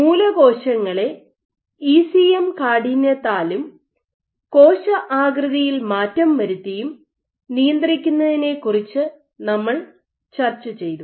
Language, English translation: Malayalam, So, in normal we discussed about regulation of stem cell fate by ECM stiffness and via modulation of cell shape